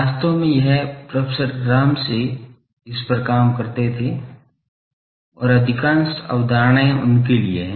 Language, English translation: Hindi, The concept was, actually this was professor Ramsay used to work on this and most of the concepts are for him